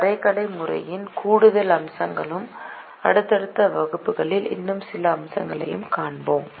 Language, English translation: Tamil, we will see more aspects of the graphical method and some more aspect in the subsequent classes